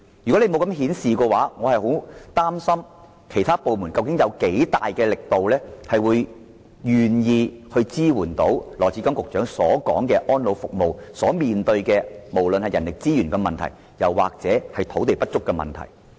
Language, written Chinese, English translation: Cantonese, 如果政府沒有這樣做，我不知其他部門會以多大力度支援羅局長所說安老服務面對的人力資源和土地不足問題。, Should the Government fail to act in this manner I wonder how vigorous government departments will be in giving support to addressing the problem of inadequate manpower resources and land mentioned by Secretary Dr LAW